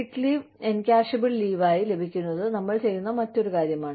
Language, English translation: Malayalam, Accruing sick leave, as encashable leave, is another thing, we do